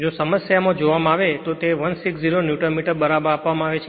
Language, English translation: Gujarati, If you see in the problem it is given 160 Newton meter right